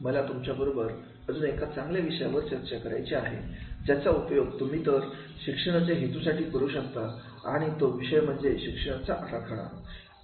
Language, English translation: Marathi, I want to discuss with you the another very good topic of which you can use for these training purpose and that is about the design thinking